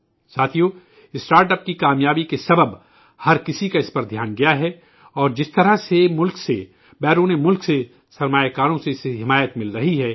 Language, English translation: Urdu, Friends, due to the success of StartUps, everyone has noticed them and the way they are getting support from investors from all over the country and abroad